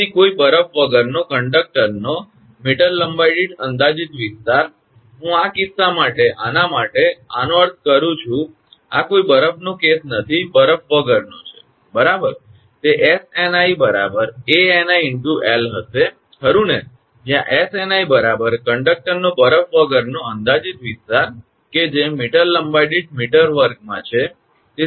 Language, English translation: Gujarati, Therefore the projected area per meter length of the conductor with no ice right I mean this one for this case this one, this is the no ice case no ice right, it will be Sni is equal to Ani into l right, where Sni is equal to projected area of conductor covered without ice in square meter per meter length right